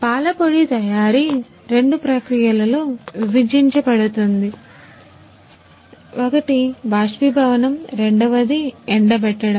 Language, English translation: Telugu, Manufacturing of milk powder is divided in two process; one is evaporation, second one is spray drying